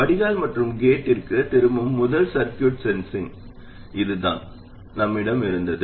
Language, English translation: Tamil, The very first circuit sensing at the drain and feeding back to the gate, this is what we had